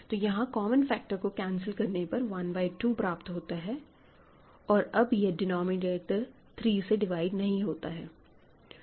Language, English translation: Hindi, So, you cancel common factors 1 by 2 is what you get and then, 3 does not divide the denominator